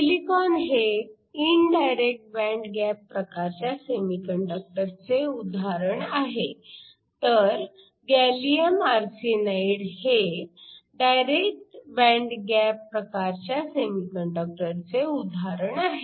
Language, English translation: Marathi, Silicon is an example of an indirect band gap semiconductor, gallium arsenide, the example for a direct band gap semiconductor